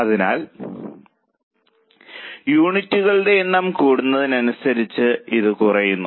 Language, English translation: Malayalam, So it keeps on falling as the number of units increase